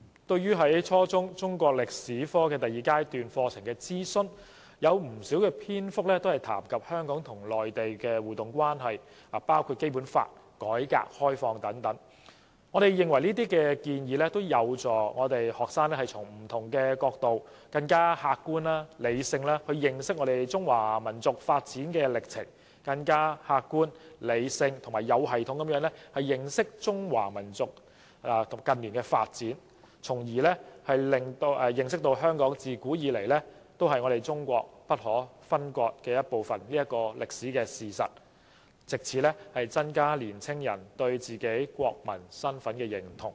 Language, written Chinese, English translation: Cantonese, 對於初中中國歷史科第二階段課程的諮詢，有不少篇幅談及香港與內地的互動關係，包括《基本法》和改革開放等，我們認為這些建議有助學生從不同角度，更客觀和理性地認識中華民族的發展歷程，以及更客觀、理性和有系統地認識中華民族的近代發展，從而認識香港自古以來是中國不可分割的一部分的歷史事實，藉此增加年青人對自己國民身份的認同。, As regards the second stage of consultation on the Chinese History curriculum at the junior secondary level the interaction between Hong Kong and the Mainland has been given mention at length including the Basic Law reform and opening and so on . In our opinion these proposals can help students to get to know the historical development of the Chinese nation from different angles and in a more objective and rational manner as well as understanding the modern development of the Chinese nation in a more objective rational and systematic manner . This can help young people recognize their own national identify through understanding the historical fact that Hong Kong is an inalienable part of China since time immemorial